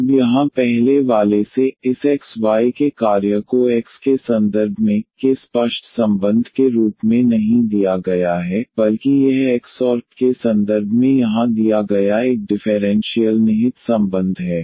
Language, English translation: Hindi, Now from the earlier one here, the function of this x y is given not the as a explicit relation of y in terms of x is given, but it is an implicit relation here given in terms of x and y